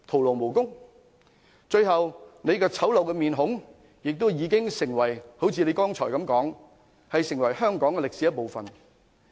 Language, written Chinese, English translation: Cantonese, 到最後，她醜陋的面孔亦會如她剛才所說般成為香港歷史的一部分。, In the end her ugly face will as she said earlier become part of Hong Kong history